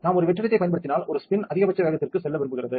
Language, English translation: Tamil, Once we apply vacuum and one spin want going for a maximum speed